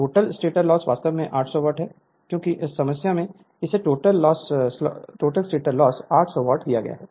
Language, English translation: Hindi, Total stator loss is given actually 800 watt because in the problem it is given the total stator loss is equal to 800 watt here it is given 800 watt right